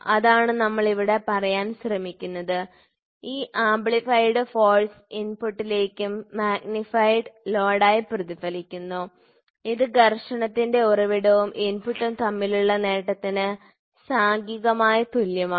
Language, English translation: Malayalam, So, small movement in linkage gets magnified that is what we are trying to say here, this amplified force is reflected back to the input as magnified load which is numerically equal to the gain between the source of friction and the input